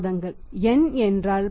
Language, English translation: Tamil, 34 months N is 10